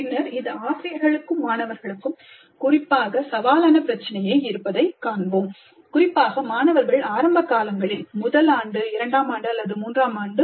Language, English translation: Tamil, Later we will see that this is particularly a challenging issue both for faculty as well as our students, particularly when these students are in the earlier years, first year or second year or third year